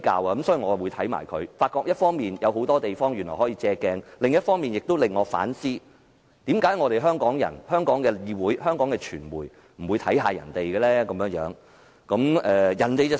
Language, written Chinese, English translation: Cantonese, 一方面，我認為新加坡的預算案有很多地方可供借鏡；另一方面，它令我反思，為何香港人、香港議會、香港傳媒不參考一下其他國家的做法？, On the one hand I think there are many initiatives in Singapores budget that we can draw reference from; and on the other hand I cannot help but wonder why Hong Kong people the legislature and the media in Hong Kong do not make reference to the approaches of other countries